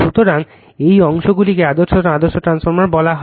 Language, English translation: Bengali, So, this portions call ideal transformers, right